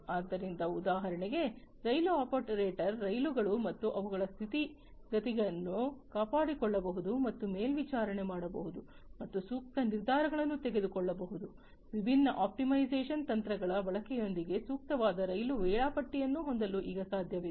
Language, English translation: Kannada, So, therefore, for example, the rail operator can maintain, and monitor the trains and their conditions, and make optimal decisions, it is also now possible to have optimal train scheduling with the use of different optimization techniques